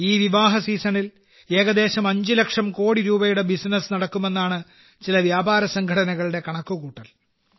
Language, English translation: Malayalam, Some trade organizations estimate that there could be a business of around Rs 5 lakh croreduring this wedding season